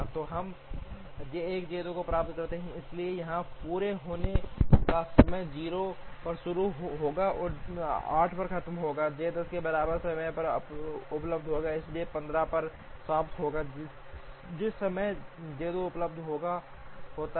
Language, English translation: Hindi, So, we get J 1 J 2, so here the completion times will be starts at 0 and finishes at 8, J 1 is available at time equal to 0, so finishes at 15 by which time J 2 is available